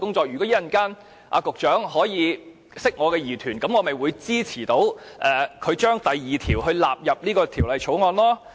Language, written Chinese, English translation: Cantonese, 如果局長稍後可以釋除我的疑團，我便會支持把第2條納入《條例草案》。, If the Secretary can address my doubts later I will support incorporating clause 2 into the Bill